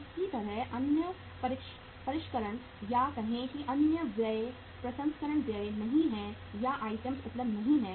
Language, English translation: Hindi, Similarly, the other finishing or the say other expenses processing expenses are not or the items are not available